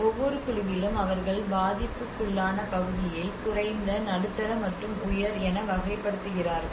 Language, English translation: Tamil, And within each group they also categorize the vulnerability part of it low, medium, and high